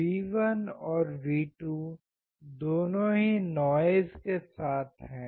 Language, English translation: Hindi, Both V1 and V2 are accompanied by noise